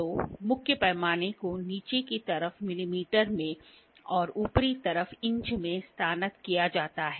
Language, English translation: Hindi, So, the main scale is graduated in millimeters on the lower side and inches on the upper side